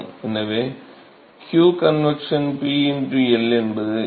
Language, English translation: Tamil, So, so q convection, what is P into L